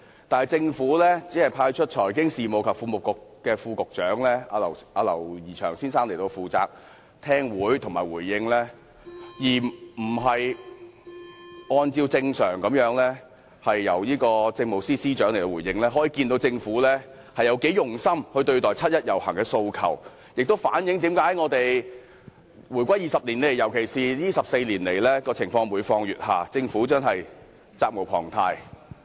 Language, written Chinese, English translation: Cantonese, 但是，政府只派出財經事務及庫務局副局長劉怡翔先生出席會議和作出回應，而不是按照正常做法派出政務司司長作出回應，可見政府有多"用心"對待七一遊行市民的訴求，亦反映了香港回歸20年來，尤其是過去14年來，情況每況愈下，政府真的責無旁貸。, However the Government has only assigned the Under Secretary for Financial Services and the Treasury Mr James LAU to attend this meeting and respond to us instead of following the normal practice of assigning the Chief Secretary for Administration to respond to us . This shows how much the Government cares about the aspirations of the people participating in the 1 July march . This also reflects that over the past 20 years since Hong Kongs return to China and particularly during the past 14 years things have been going downhill